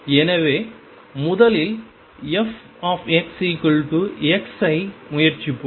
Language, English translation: Tamil, So, let us now first try f x equals x